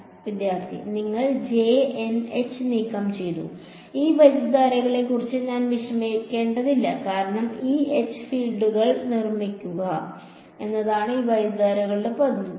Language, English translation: Malayalam, I removed the field E and H inside the thing I do not have to worry about this currents over here because the role of this currents finally, is to produce the fields E and H